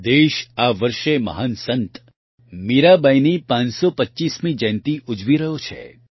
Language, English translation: Gujarati, This year the country is celebrating the 525th birth anniversary of the great saint Mirabai